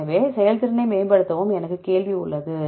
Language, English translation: Tamil, So, improve the performance and I have question